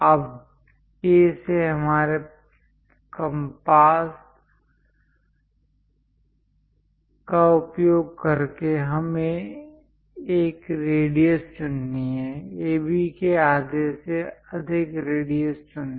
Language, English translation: Hindi, Now, using our compass from A; what we have to do is; pick a radius, pick a radius greater than half of AB